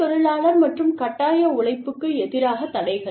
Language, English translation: Tamil, Prohibitions against child labor and forced labor